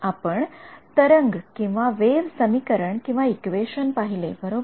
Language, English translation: Marathi, We had looked at the wave equation right